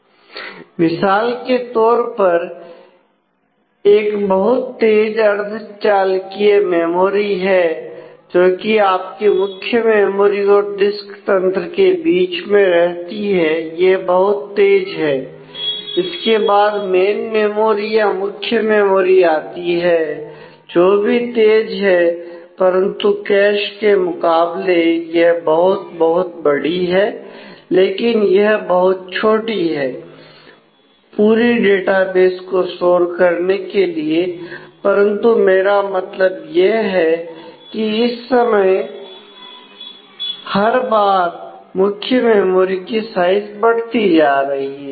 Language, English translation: Hindi, So, cache typically is a fast semiconductor memory that exist between your main memory and the disk system and it is very fast to work with then comes the main memory which is which has fast access, but compare to cache it may be may be much bigger, but overall it is too small to store an entire database, but I mean every regularly the size of this main memory is increasing